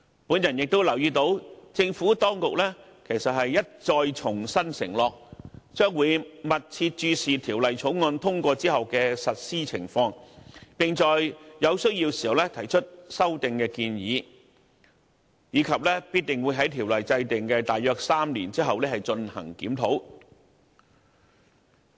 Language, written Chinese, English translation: Cantonese, 我亦留意到政府當局其實已一再承諾，將會密切注視《條例草案》通過後的實施情況，並在有需要時提出修訂建議，以及必定會在條例制訂的約3年後進行檢討。, I have also noticed that the Administration has actually undertaken repeatedly that it will keep in view the implementation of the Ordinance after the passage of the Bill; propose amendments where necessary and definitely review the Ordinance about three years after its enactment